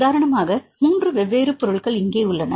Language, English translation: Tamil, For example if there are 3 different objects here